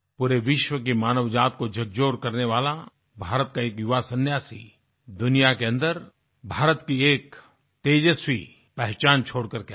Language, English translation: Hindi, This young monk of India, who shook the conscience of the human race of the entire world, imparted onto this world a glorious identity of India